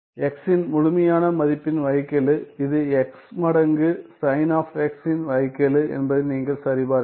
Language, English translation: Tamil, The derivative of the absolute value of x right this is also you can check that this is the derivative of x times sign of x right